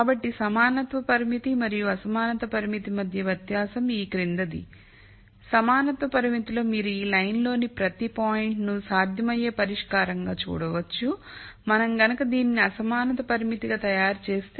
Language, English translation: Telugu, So, the di erence between the equality constraint and the inequality con straint is the following, in the equality constraint we had every point on this line being a feasible solution when you make this as a inequality constraint